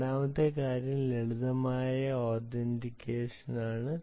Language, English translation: Malayalam, the second thing is simple authentication